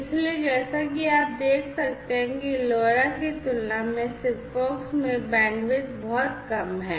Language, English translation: Hindi, So, as you can see over here the bandwidth in SIGFOX is much less compared to LoRa